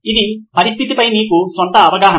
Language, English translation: Telugu, It’s your own understanding of the situation